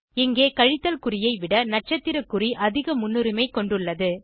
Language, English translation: Tamil, Here the asterisk symbol has higher priority than the minus sign